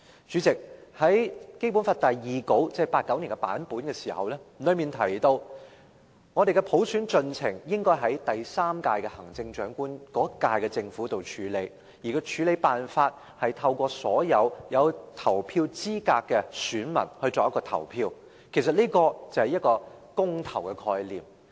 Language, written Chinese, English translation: Cantonese, 主席，《基本法》第二稿——即1989年的版本——提及，香港的普選進程應該由第三屆特區政府處理，而處理辦法是透過所有合資格的選民投票，其實這是公投的概念。, President it was mentioned in the second draft of the Basic Law that is the version published in 1989 that the progress of implementing universal suffrage in Hong Kong should be handled by the third - term SAR Government by way of voting by all eligible electors . It is actually the concept of a referendum